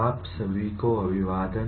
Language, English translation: Hindi, Greetings to all of you